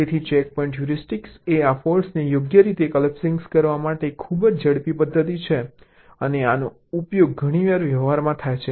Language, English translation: Gujarati, so checkpoint heuristic is a very quick method to do this fault collapsing right, and this is often used in practice